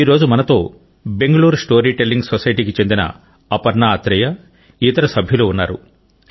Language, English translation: Telugu, Today, we are joined by our sister Aparna Athare and other members of the Bengaluru Storytelling Society